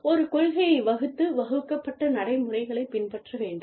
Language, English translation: Tamil, Lay down a policy, and follow the procedures, that have been laid down